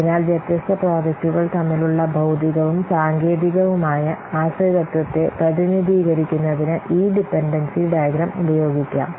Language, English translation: Malayalam, So this dependency diagram can be used to represent the physical and the technical dependencies between the different projects